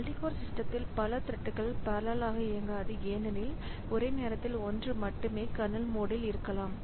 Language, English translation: Tamil, Multiple threads may not run in parallel on multi code system because only one may be in the in kernel mode at a time